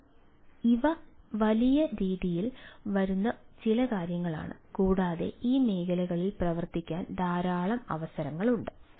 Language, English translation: Malayalam, so these are these are some of the things which are coming up in a big way and there is a lot of opportunity ah to work on this areas